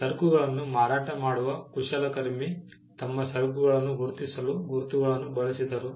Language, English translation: Kannada, Now, craftsman who sold goods used marks to identify their goods